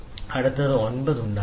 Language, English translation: Malayalam, And then next is 9 you make 9